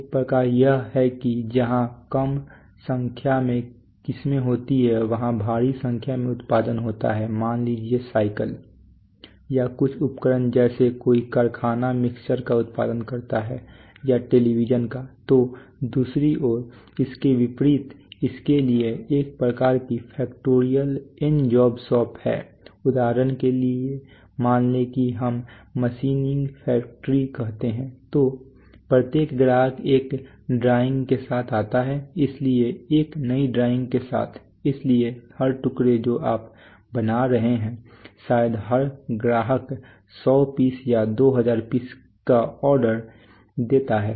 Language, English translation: Hindi, One kind is that where there is less number of variety gets produced in huge numbers let us say bicycles or some appliances some factory produces mixers or produces televisions or produces, so on the other hand contrasted to that there is a kind of factorial job shops for example let us say let us say machining factory so every customer comes with a drawing so with a new drawing so every piece that you are manufacturing probably every customer gives an order of 100 pieces 2000 pieces like that